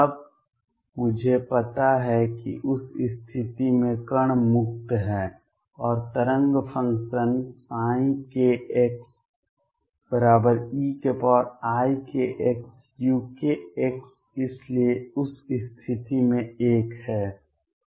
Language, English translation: Hindi, Then I know in that case particle is free and the wave function psi k x is e raise to i k x and u k x therefore, in that case is 1